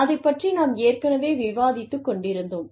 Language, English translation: Tamil, All that, we were discussing